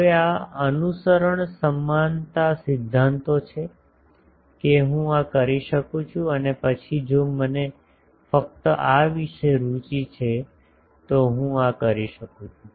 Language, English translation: Gujarati, Now, this is the equivalence principles followed; that I can do this and then if I am interested only about this I can go on doing this